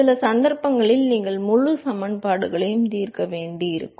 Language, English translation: Tamil, It is possible that in some cases you will have to solve the full equations